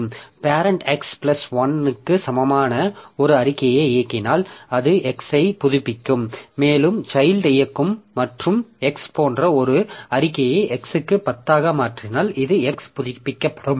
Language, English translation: Tamil, So, if the parent executes a statement x equal to x plus 1, so that will update this x and this if the child executes an statement like x equal to x into 10, so that will update this x